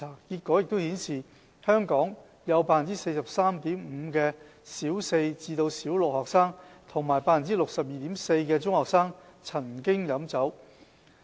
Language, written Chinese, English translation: Cantonese, 結果顯示，香港有 43.5% 的小四至小六學生和 62.4% 的中學生曾經飲酒。, The findings showed that 43.5 % of Primary Four to Six students and 62.4 % of secondary school students had taken liquor drinks